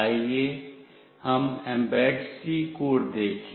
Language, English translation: Hindi, Let us look into the Mbed C code